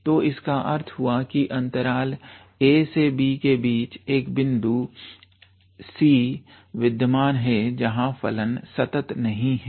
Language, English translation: Hindi, So that means, in between that interval a to b there exist a point c where the function is not continuous